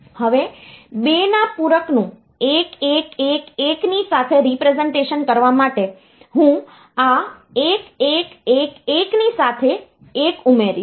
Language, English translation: Gujarati, Now, for 2’s complement representation with this 1111, I will add with this 1111, I will add a 1